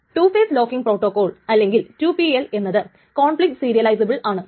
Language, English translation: Malayalam, So, the two phase locking protocol is conflict serializable